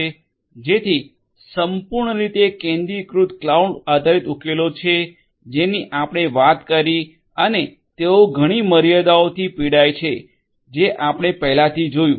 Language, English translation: Gujarati, So, entirely centralized cloud based solutions are the ones that we talked about and they suffer from many limitations which we have already seen